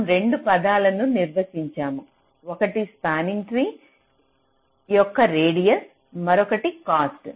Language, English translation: Telugu, we define two terms: one is the radius of the spanning tree and the other is the cost of the spanning tree